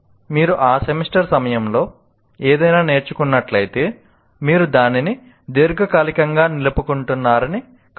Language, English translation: Telugu, If you have learned something during that semester, it doesn't mean that you are retaining it for a long term